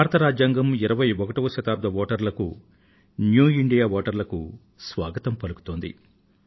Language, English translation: Telugu, The Indian Democracy welcomes the voters of the 21st century, the 'New India Voters'